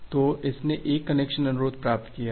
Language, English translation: Hindi, So, it has received one connection request here